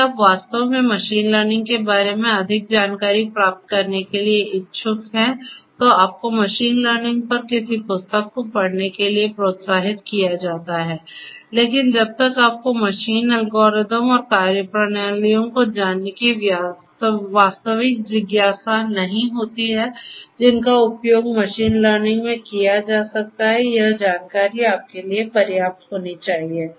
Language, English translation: Hindi, If you are indeed interested to get more understanding of machine learning you are encouraged to go through some book on machine learning, but you know unless you have you know real curiosity and curiosity to know the different algorithms and methodologies that could be used in machine learning only this much of information should be sufficient for you